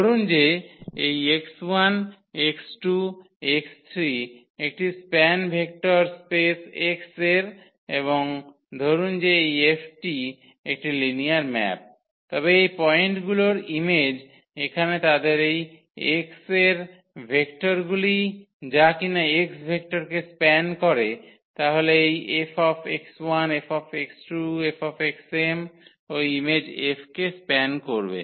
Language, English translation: Bengali, That suppose this x 1 x 2 x 3 x m is span a vector space X and suppose this F is a linear map, then their image of these points here what these vectors from x which is span the vector space X then this F x 1 F x 2 F x m will also span will span the image F